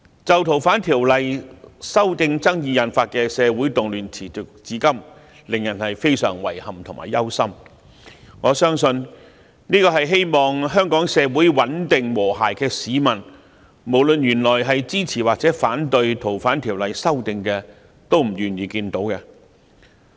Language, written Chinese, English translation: Cantonese, 就《逃犯條例》修訂爭議引發的社會動亂持續至今，令人非常遺憾及憂心，我相信希望香港社會穩定和諧的市民，無論他們支持或反對《逃犯條例》修訂，都不願意見到這情況。, The social unrest arising from the controversy over the legislative proposal to amend the Fugitive Offenders Ordinance has made people very sad and worried . The unrest is still continuing . I believe that members of the public who aspire to stability and harmony in Hong Kong be they support or oppose the proposed legislative amendments would not like to see such a situation